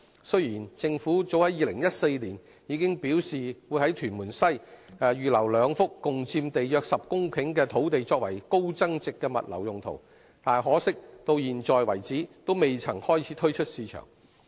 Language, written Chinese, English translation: Cantonese, 雖然政府早於2014年表示會在屯門西，預留兩幅共佔地約10公頃的土地作為高增值的物流用途，但可惜，至今為止仍未開始推出市場。, Although the Government has undertaken as early as in 2014 that two sites in Tuen Mun West totalling around 10 hectares would be reserved for high value - added logistics services it is regrettable that the sites have not yet been released to the market so far